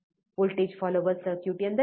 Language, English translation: Kannada, What is voltage follower circuit